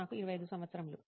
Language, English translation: Telugu, I am 25 years old